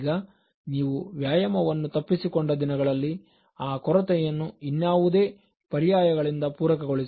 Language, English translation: Kannada, Now, on those days when you miss your exercise, supplement it by other alternatives